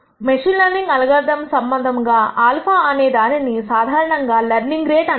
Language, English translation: Telugu, Connection to machine learning algorithms is the following this alpha is usually called as the learning rate